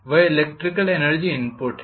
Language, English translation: Hindi, That is electrical energy input